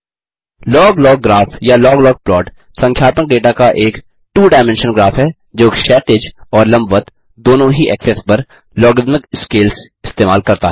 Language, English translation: Hindi, A log log graph or a log log plot is a two dimensional graph of numerical data that uses logarithmic scales on both the horizontal and vertical axes